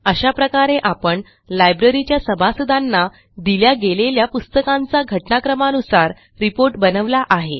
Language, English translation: Marathi, Thus we have created our chronological report of books issued to the Library members